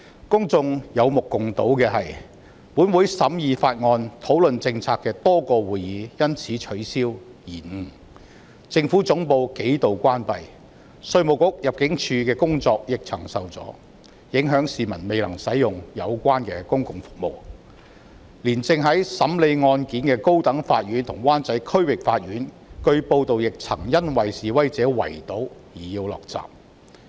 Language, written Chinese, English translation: Cantonese, 公眾有目共睹的是：本會多個審議法案及討論政策的會議因而取消或延誤；政府總部數度關閉，稅務局及入境事務處的工作亦曾受阻，影響市民未能使用有關的公共服務；就連正在審理案件的高等法院及灣仔區域法院，據報亦曾因示威者圍堵而要降下捲閘。, The following results are obvious to the public a number of meetings of this Council to scrutinize bills and discuss policies had been cancelled or postponed; the Central Government Offices were closed on several occasions and the work of the Inland Revenue Department and the Immigration Department had been obstructed thereby affecting the provision of relevant public services to the public; it was reported that even the High Court and the District Court in Wanchai though trials could still proceed have to lower the roller shutter as they were besieged by protesters